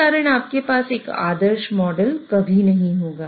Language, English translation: Hindi, So, because of that, you would never have a perfect model